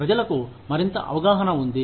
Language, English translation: Telugu, People are more aware